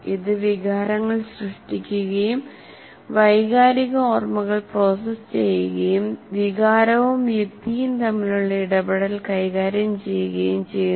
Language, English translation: Malayalam, It generates emotions and processes emotional memories and manages the interplay between emotional reason